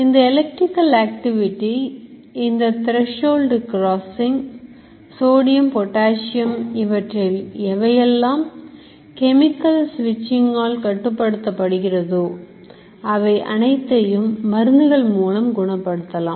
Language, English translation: Tamil, Electrical activity, threshold crossing, sodium, controlled by the chemical switching which can be altered through medication or anything